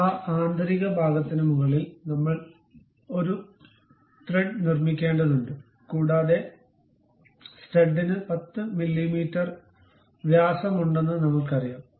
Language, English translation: Malayalam, And we have to make thread over that internal portion and we know that the stud has diameter of 10 mm